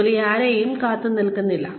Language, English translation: Malayalam, Work waits for nobody